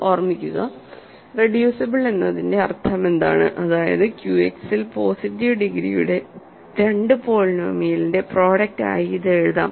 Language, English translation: Malayalam, Remember, what is the meaning of being reducible that means, it can be written as product of two polynomial of positive degree in Q X